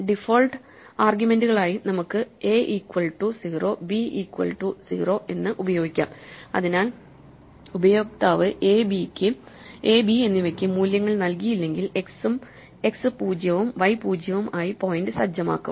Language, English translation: Malayalam, Then we can use a equal to 0, and b equal to 0 as default arguments, so that if the user does not provide values for a and b, then x will be set to 0 and y will be set to 0